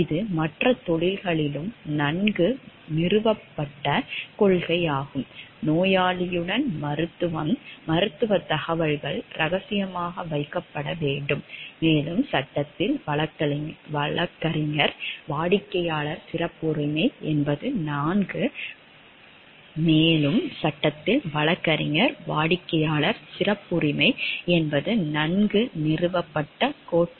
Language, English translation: Tamil, This is a well established principle in other professions as well, such as medicine with the patience medical information must be kept confidential, and in law where attorney client privilege is a well established doctrine